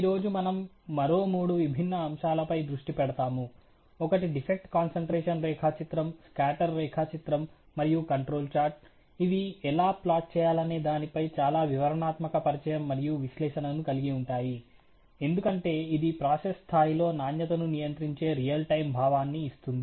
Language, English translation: Telugu, Today we will focus on three more different aspects; one is the defect concentration diagram, the scatter diagram, and the control charge which again would have a very detailed introduction and analysis as to how these are to be plodded, because this really giving a real time sense of control of quality on the process level